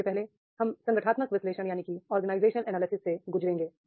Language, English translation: Hindi, First we will go through the organizational analysis